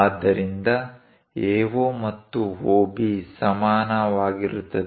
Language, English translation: Kannada, So, AO and OB are equal